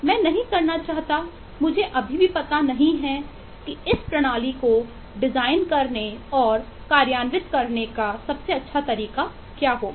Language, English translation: Hindi, I yet do not know what will be the best way to design and implement this system